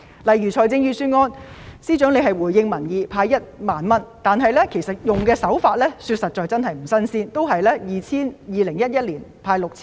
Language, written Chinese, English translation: Cantonese, 例如，司長在預算案回應民意派1萬元，實在不是新鮮事物，政府在2011年也曾派 6,000 元。, For example the Financial Secretary proposed in the Budget to disburse 10,000 to respond to public opinions . This is not a new measure as the Government also gave a cash handout of 6,000 in 2011